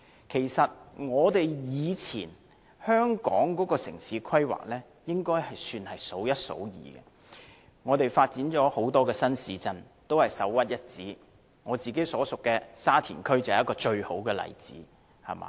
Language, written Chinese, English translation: Cantonese, 其實，以前香港的城市規劃應該算是數一數二的，我們發展的很多新市鎮均是首屈一指，我所屬的沙田區便是一個最好的例子。, In fact past urban planning in Hong Kong was outstanding and many new towns developed by us were second to none . Sha Tin to which I belong is the best case in point